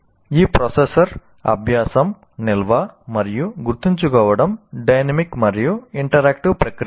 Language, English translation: Telugu, And these processors, learning, storing and remembering are dynamic and interactive processes